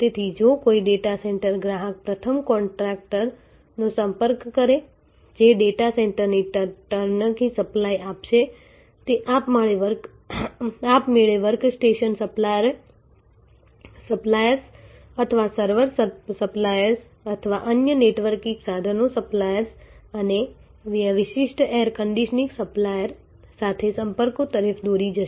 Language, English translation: Gujarati, So, that the sales, so if somebody a data center customer a first contacts a contractor who will give a turnkey supply of the data center will automatically lead to contacts with work station suppliers or server suppliers or other networking equipment suppliers or the specialized air conditioning supplier and so on